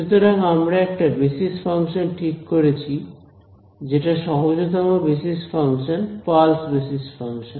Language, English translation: Bengali, So, we have chosen a basis function which are the simplest basis functions pulse basis functions